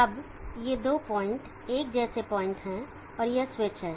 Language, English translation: Hindi, Now these two points are the same points and this is the switch